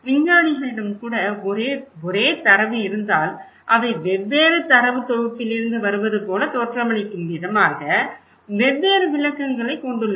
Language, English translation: Tamil, Even the scientist, if they have same data they have different interpretations as if they look like they are coming from different data set